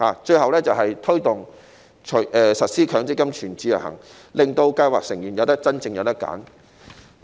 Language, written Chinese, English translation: Cantonese, 最後要做的是推動實施強積金"全自由行"，令計劃成員能夠有真正的選擇。, The last thing we need to do is to promote the introduction of MPF full portability so that scheme members can have genuine choices